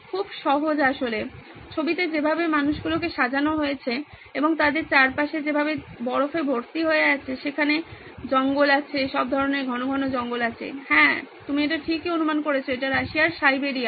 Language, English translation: Bengali, Quite easy actually given the way the people are dressed in the photo and the way the snow is all around them, there are forests, there are all sorts of like a thick dense forest, yeah that’s right you guessed it right, it’s Siberia in Russia